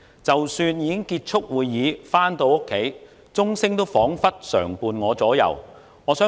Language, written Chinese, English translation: Cantonese, 即使已經結束會議回家，鐘聲彷彿常伴我左右。, Even when I went home after meetings the bell still echoed in my mind